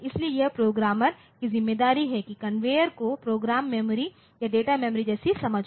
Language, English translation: Hindi, So, it is the responsibility lies with the programmer to have the conveyor have the understanding as a program memory or data memory like that